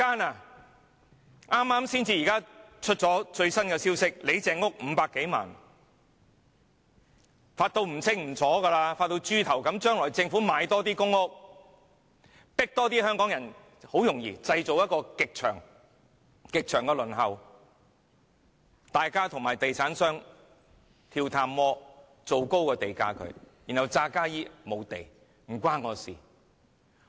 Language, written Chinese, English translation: Cantonese, 剛公布的最新消息指，李鄭屋邨有單位以500多萬元成交，可以賺大錢，發大達，將來政府多賣公屋，製造極長的輪候時間，政府和地產商跳探戈，製造高地價，然後假裝沒有土地，與政府無關。, It has recently been reported that one unit in Lei Cheng Uk Estate has been sold for some 5 million . You see building public housing can also earn profit and make people rich . From now on the Government can sell more public housing units and then create a very very long waiting queue